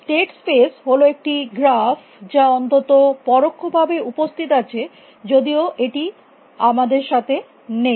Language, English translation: Bengali, The state space is at graph at least simplicity it exists even though has it with us